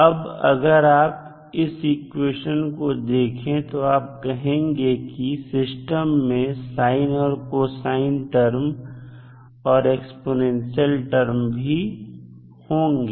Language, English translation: Hindi, Now, if you see this equation the expression for it you will say that the system will have cosine terms and sine terms that is sinusoidal terms you will see plus exponential terms